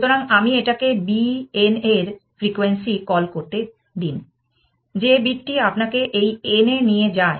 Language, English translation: Bengali, So, let me just call it frequency of b n, the bit which makes leads you to this n th essentially